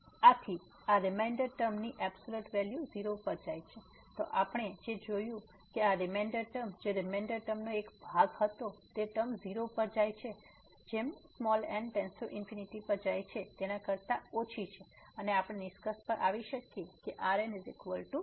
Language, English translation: Gujarati, So, this absolute value of this remainder term which goes to 0; so what we have seen that this reminder term which was a part of the remainder term is less than which term which goes to 0 as goes to infinity and we can conclude that the remainder goes to 0